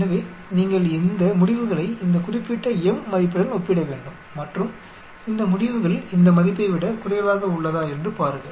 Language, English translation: Tamil, So, you need to compare this results, with the this particular m value and see whether this results is less than this value